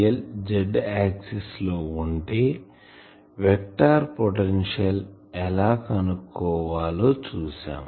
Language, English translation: Telugu, dl directed along let us say a z axis then how to find the vector potential